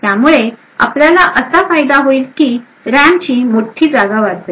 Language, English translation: Marathi, The advantage to we achieve with this is that a large portion of the RAM gets saved